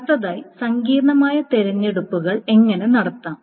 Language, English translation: Malayalam, Next, how to do complex selections